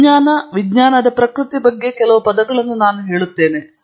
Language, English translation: Kannada, Let me say a few words about science, nature of science